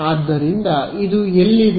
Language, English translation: Kannada, So, this is my